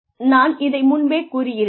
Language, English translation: Tamil, And, I have mentioned this earlier also